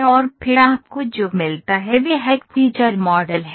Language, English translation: Hindi, And then what you get is, a feature model